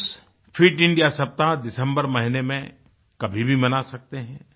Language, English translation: Hindi, Schools can celebrate 'Fit India week' anytime during the month of December